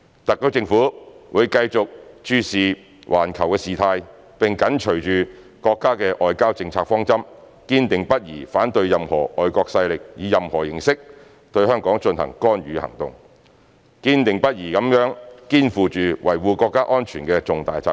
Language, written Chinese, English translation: Cantonese, 特區政府會繼續注視環球事態，並緊隨着國家的外交政策方針，堅定不移地反對任何外國勢力以任何形式對香港進行干預行動，堅定不移地肩負起維護國家安全的重大責任。, The SAR Government will continue to keep an eye on the global situation and adhere closely to the diplomatic policy objectives of our country . We are determined to oppose any foreign interference in the affairs of Hong Kong by any means and are committed to taking up the important responsibility of safeguarding national security